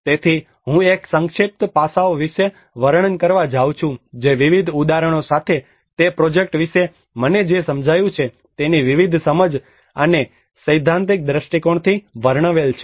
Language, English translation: Gujarati, So I am going to describe about a brief aspects which described from a theoretical perspective along with various understanding of what I have understood about that project with various examples